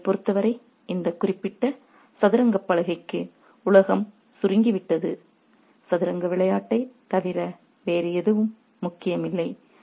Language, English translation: Tamil, For them the world has shrunk to this particular chess board and nothing else matters except the game of chess